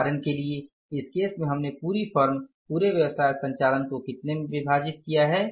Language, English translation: Hindi, Now for example in this case we have divided the whole firm, whole business operations into how many 1, 2, 3, 4, 4 activities